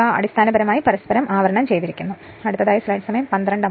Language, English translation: Malayalam, They are basically you are insulated from each other, so this is whatever you have